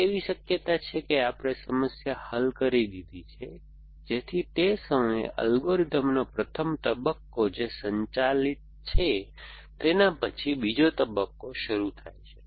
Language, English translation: Gujarati, Then there is a possibility that we have solved the problem so that at that point, the first stage of the algorithm which is a powered space and the second stage begin